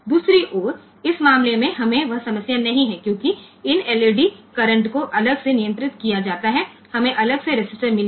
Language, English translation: Hindi, On the other hand in this case we do not have that problem because, these LEDs currents are controlled separately we have got the separate resistances